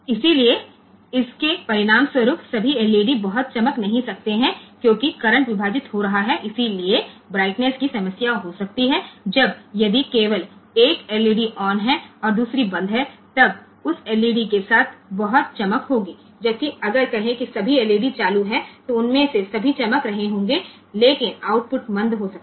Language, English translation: Hindi, So, as a result this the all the LEDs may not glow very brightly because, the current getting divided so, the brightness may be a problem, when if only one LED is on others are off that LED will be glowing very with a with a good brightness whereas, if say all the LEDs are turned on then all of them will be glowing, but the output may be dim